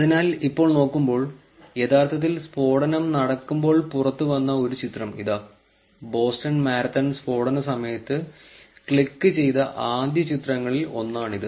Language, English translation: Malayalam, So, now looking at, so here is a picture that actually came out to the blast and this was one of the first pictures clicked during the Boston Marathon blast